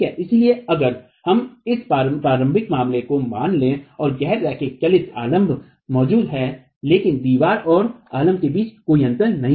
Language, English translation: Hindi, So, if we were to assume this initial case where the non moving supports are present but there is no gap that exists between the wall and the support